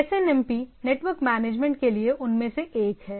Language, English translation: Hindi, Like, SNMP is one of that for the network management